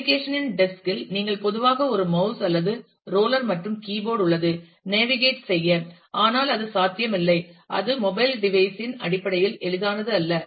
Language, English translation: Tamil, In a desk of application you will typically use a mouse, or a roller and keyboard to navigate, but that is not possible or that is not easy in terms of a mobile device